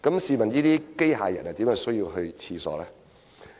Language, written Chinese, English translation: Cantonese, 試問機械人怎會有需要上廁所呢？, How is it possible that robots need to use toilets?